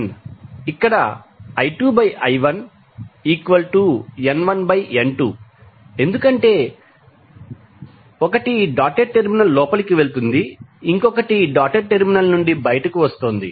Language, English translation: Telugu, Here I2 by I1 is also N1 by N2 because the 1 is going inside the dotted terminal other is coming out from the dotted terminal